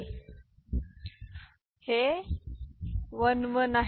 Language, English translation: Marathi, So, this is 1 1